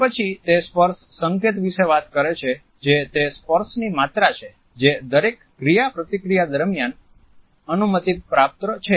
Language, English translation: Gujarati, After that he talks about the touch code that is the amount of touch which is permissible during each interaction